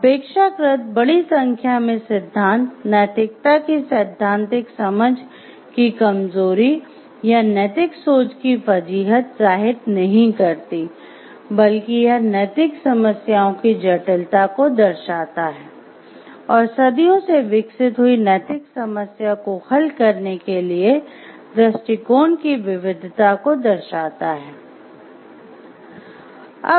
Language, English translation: Hindi, So, the relatively large number of theories does not indicate a weakness in theoretical understanding of ethics or fuzziness of ethical thinking, rather it reflects the complexity of the ethical problems and the diversity of the approaches to ethical problem solving that has been developed over centuries